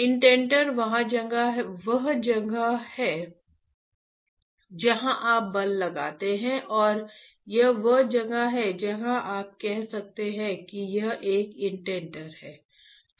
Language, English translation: Hindi, Indenter is where you apply the force, this is where you can say it is a indenter, alright